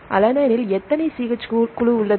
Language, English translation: Tamil, alanine contains how many CH3 groups